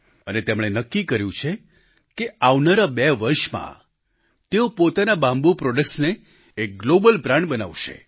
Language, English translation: Gujarati, He has decided that in the next two years, he will transform his bamboo products into a global brand